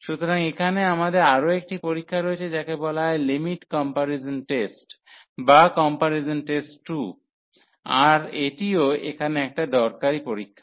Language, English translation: Bengali, So, here we have another test which is called the limit comparison test or the comparison test 2, so this is again a useful test here